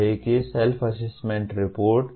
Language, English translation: Hindi, And what is Self Assessment Report